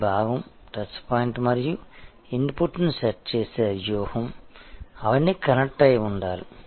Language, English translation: Telugu, This part, the touch point and the strategy setting the input, they all must remain connected